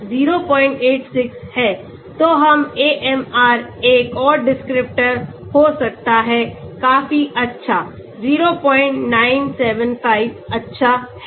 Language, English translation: Hindi, So we can have AMR another descriptor is quite good 0